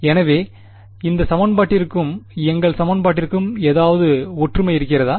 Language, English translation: Tamil, So, do you see any similarity between this equation and our equation